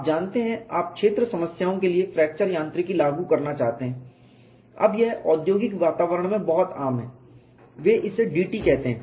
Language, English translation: Hindi, You know if you want to apply fracture mechanics for field problems, now it is very common in industrial environment, they called this as d t